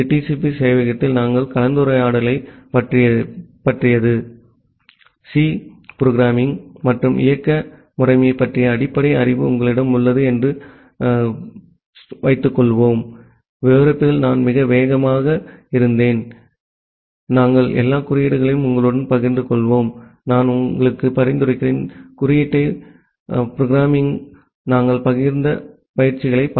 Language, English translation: Tamil, So, this is all about our discussion on TCP server, I was quite fast in describing the things with the assumption that you have a basic knowledge of C programming and operating system, we will share all the codes with you and I will suggest you to browse the code and look into the tutorials that we have shared